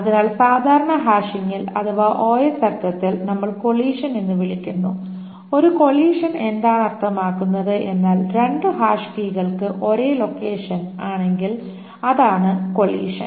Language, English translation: Malayalam, So, in normal hashing, in the OS sense, what we term as collision, what does a collision mean is that when two hash keys have the same location